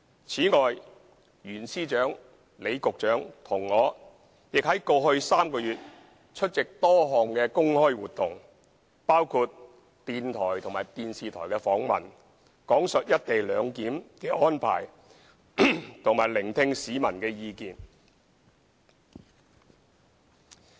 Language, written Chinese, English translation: Cantonese, 此外，袁司長、李局長和我亦在過去3個月內出席多項公開活動，包括電台和電視台訪問，講述"一地兩檢"的安排和聆聽市民的意見。, Besides Secretary for Justice Rimsky YUEN Secretary John LEE and I have also attended a number of public activities over the past three months including interviews with radio and television programmes to explain the co - location arrangement and hear peoples views